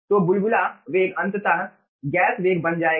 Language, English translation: Hindi, so bubble velocity eventually will become the gas velocity